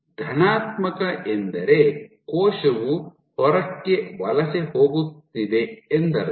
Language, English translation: Kannada, So, positive mean so the cell is migrating outward